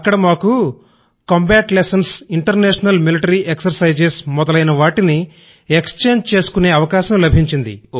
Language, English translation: Telugu, Here we learnt an exchange on combat lessons & International Military exercises